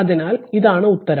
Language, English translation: Malayalam, So, this is the answer right